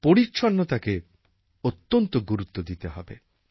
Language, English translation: Bengali, And cleanliness should be given great importance